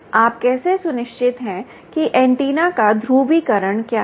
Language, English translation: Hindi, right, how are you sure what is the polarization of the antenna